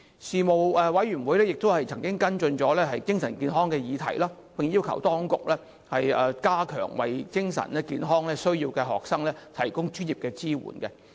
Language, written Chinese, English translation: Cantonese, 事務委員會亦曾跟進精神健康的議題，並要求當局加強為有精神健康需要的學生所提供的專業支援。, The Panel also followed up mental health issues and requested the authorities to strengthen professional support for students with mental health needs